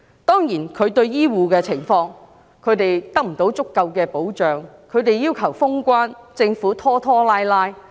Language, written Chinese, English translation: Cantonese, 當然，她亦沒有為醫護人員提供足夠的保障，他們要求封關，政府卻拖拖拉拉。, Of course she has not provided sufficient protection for health care workers . When health care workers demanded the closure of borders the Government acted indecisively